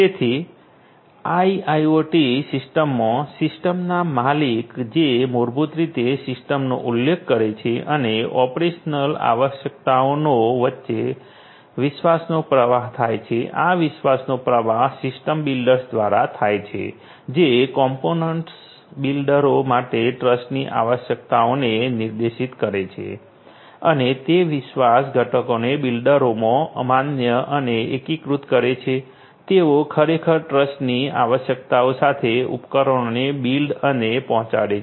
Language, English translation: Gujarati, So, in IIoT system, trust flow happens between the system owner who basically specify the system and operational requirements; through the system builders who specify the trust requirements and test trust requirements for the component builders and validate and integrate those trust components to the component builders who actually build and deliver the devices with the specified trust requirements